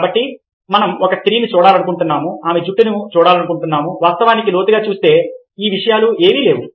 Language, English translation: Telugu, so we are able to see a women, we are able to see her hair, in spite of the fact that, if we actually look deeply now, this things exists